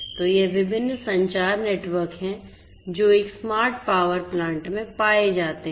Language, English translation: Hindi, So, these are these different communication networks that one would encounter in a smart power plant